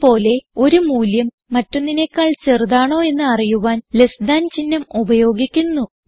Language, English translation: Malayalam, Similarly, less than symbol is used to check if one value is less than the other